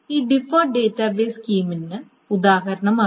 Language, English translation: Malayalam, So that is the example for this deferred database scheme